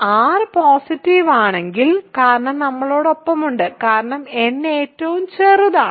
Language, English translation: Malayalam, So, if r is positive, because with we have then, because n is the smallest